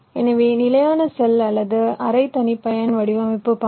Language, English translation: Tamil, so standard cell or semi custom design style